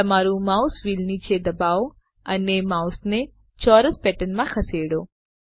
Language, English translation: Gujarati, Press down your mouse wheel and move the mouse in a square pattern